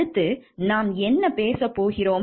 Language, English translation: Tamil, Next, what we are going to discuss